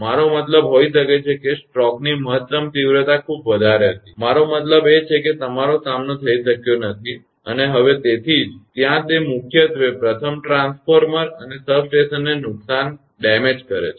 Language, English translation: Gujarati, I mean maybe that maximum intensity of the stroke was very high, could not your encounter this far I mean; so, that is why; there it will mainly damage first the transformer and the substation